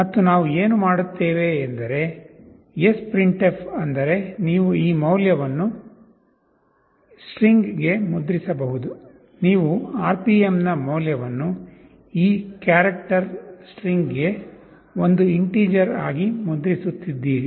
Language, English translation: Kannada, And what we do we sprintf means you can print this value into a string, you are printing the value of this RPM as an integer into this character string